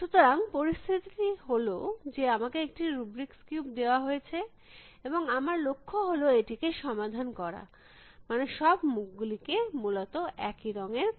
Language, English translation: Bengali, So, the situation is that I am given this rubrics cube as it is and the goal is to solve it, meaning get all faces to have the same colors essentially